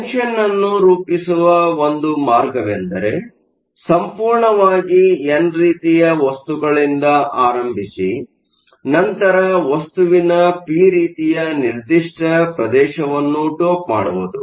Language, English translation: Kannada, One way to form a junction is to start with the material that is completely n type and then dope a certain region of the material p type